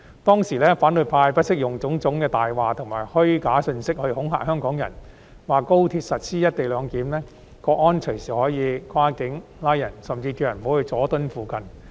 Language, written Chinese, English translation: Cantonese, 當時，反對派不惜用種種謊言及虛假信息來恐嚇香港人，說高鐵實施"一地兩檢"，國安隨時可以跨境作出拘捕，他們甚至叫市民不要前往佐敦一帶。, Back then the opposition camp had no scruples about using various lies and false information to frighten Hong Kong people . They alleged that the implementation co - location arrangement at XRL would enable Mainland State Security officers to make arrests across the boundary anytime . They even told members of the public not to go to areas around Jordan